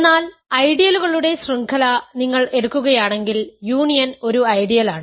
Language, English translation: Malayalam, But if you take a chain of ideals where union is an ideal